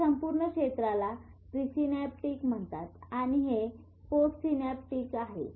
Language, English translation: Marathi, This is pre synaptic, this is post synaptic